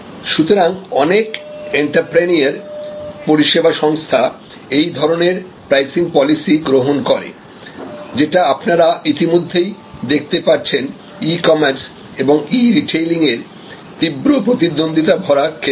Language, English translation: Bengali, So, most entrepreneur service organizations, adopt this type of pricing strategy and as you can see the intense competition; that is going on now in the field of e commerce and e retailing